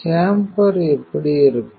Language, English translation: Tamil, So, how the chamber looks like